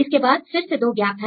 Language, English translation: Hindi, And we have the 2 gaps